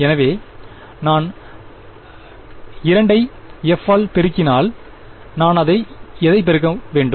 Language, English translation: Tamil, So, if I take 2 multiplied by f of what should I multiply it by